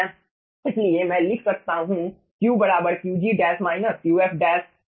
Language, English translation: Hindi, so over here, qg by qg plus qf